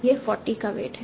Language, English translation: Hindi, This is having a weight of 40